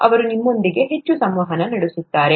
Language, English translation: Kannada, They will interact heavily with you